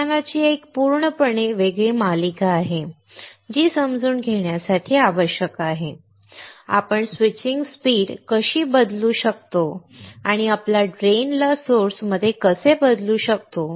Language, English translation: Marathi, There is a totally a separate series of lectures that are required to understand, how we can change the switching speed and how can we change the drain to source